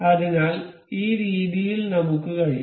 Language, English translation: Malayalam, So, in this way we can